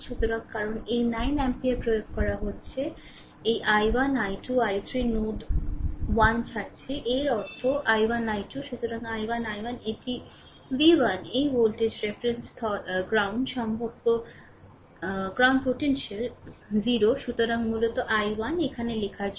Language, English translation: Bengali, So, because we are applying this 9 ampere is entering this i 1 i 2 i 3 are leaving the node 1; that means, i 1 i 2 I told you therefore, i 1 i 1 is equal to this is v 1 this voltage reference ground potential 0